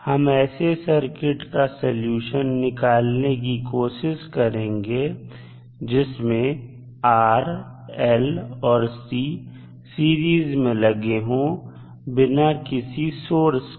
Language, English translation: Hindi, We will try to find the solution of those circuits which are series combination of r, l and c without any source